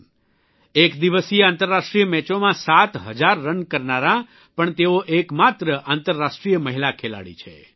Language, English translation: Gujarati, She also is the only international woman player to score seven thousand runs in one day internationals